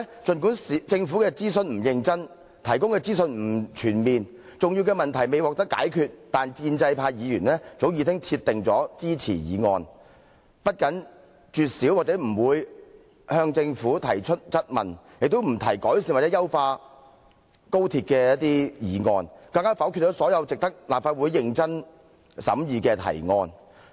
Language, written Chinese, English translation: Cantonese, 儘管政府的諮詢不認真、提供的資訊不全面，以及重要的問題未獲解決，但建制派議員早已鐵定支持《條例草案》，不僅絕少或不向政府提出質問，也不提改善或優化高鐵的議案，更否決了所有值得立法會認真審議的提案。, Although the Governments consultation was not serious the information provided by it is incomprehensive and it has yet to resolve important issues pro - establishment Members had firmly decided long ago that they would support the Bill . Not only have they rarely if not never put questions about the Bill to the Government but they have also refrained from proposing motions to improve or enhance XRL and have even voted down all relevant proposals worth serious consideration by this Council